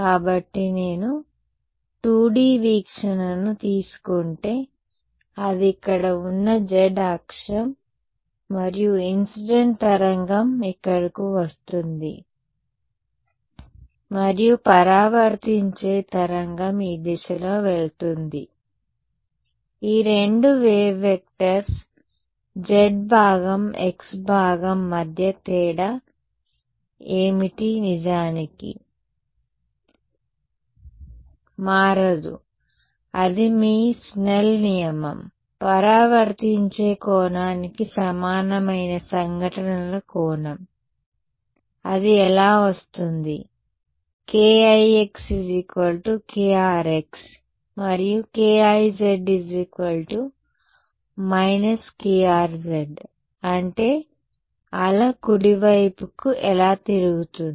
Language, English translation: Telugu, So, supposing I if I take a 2D view, this is the z axis over here and incident wave comes over here and the reflected wave goes in this direction, what is different between these two wave vectors, the z component, the x component in fact, does not change, that is your Snell’s law, angle of incidence equal to angle of reflection, how will that come, k ix is equal to k rx and k iz is equal to minus k rz, that is how the wave turns around right